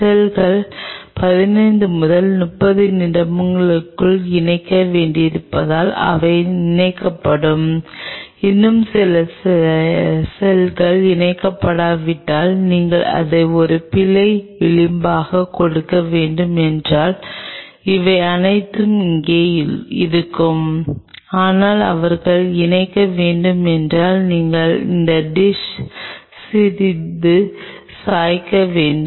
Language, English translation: Tamil, But if and this is I am talking all from my experience if the cells had to attach by 15 to 30 minutes they will attach and still some of the cells will not attach, that you have to give it as an error margin will all those be there, but if they have to attach and if you tilt this dish little bit